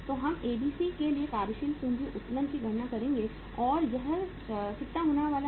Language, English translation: Hindi, So we will calculate the working capital leverage for ABC and that is going to be how much